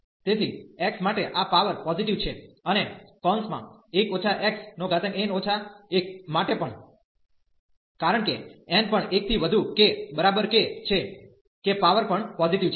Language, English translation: Gujarati, So, this power here for x is positive and also for 1 minus x the power here, because n is also greater than equal to 1 that power is also positive